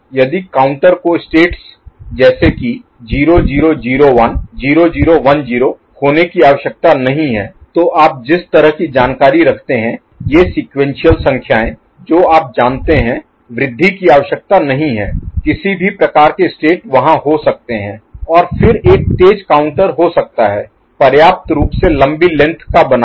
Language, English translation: Hindi, If the counter does not require states to be like 0 0 0 1, 0 0 1 0 that kind of you know, these sequential numbers you know, increment is not required any kind of states can be there and then, a fast counter can be made of sufficiently long length